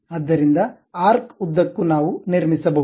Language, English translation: Kannada, So, along arc also we can construct